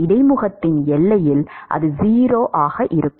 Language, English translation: Tamil, At the boundary at the interface it is 0